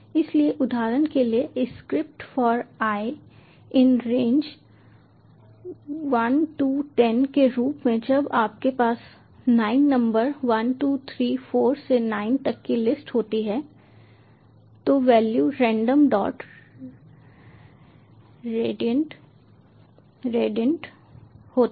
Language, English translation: Hindi, so for example, the script for i in range one to ten, as when you have a list of nine numbers one, two, three, four, up to nine value is random dot randint one to ten